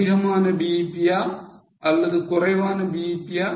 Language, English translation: Tamil, More BEP or less BEP